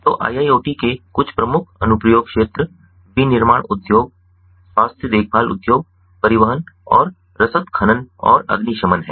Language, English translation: Hindi, so some of the key application areas of iiot are manufacturing industry, health care industry, transportation and logistics, mining and firefighting